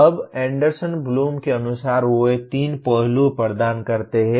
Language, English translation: Hindi, Now comes as per Anderson Bloom they provided 3 aspects